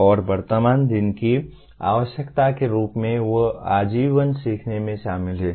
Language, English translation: Hindi, And as present day requires they are involved in lifelong learning